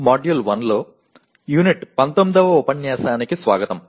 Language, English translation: Telugu, Greetings and welcome to Unit 19 of Module 1